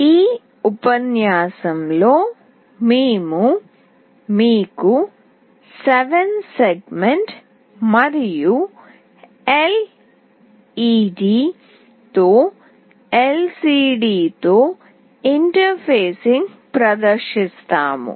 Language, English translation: Telugu, In this lecture we will be demonstrating you interfacing with LCD, with 7 segment, and LED